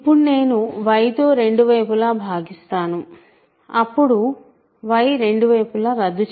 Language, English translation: Telugu, Now, I divide by y both sides so I cancel y